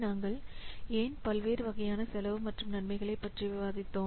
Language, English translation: Tamil, Then we have to categorize various cost and benefits